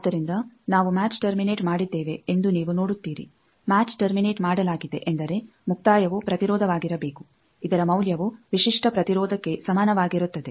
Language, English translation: Kannada, So, you see we have match terminated match terminated means the termination should be an impedance whose value is equal to the characteristic impedance